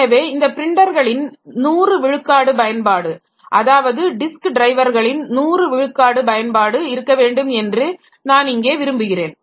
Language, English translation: Tamil, So, what I would like to have is 100% utilization of the printers, 100% utilization of the disk drives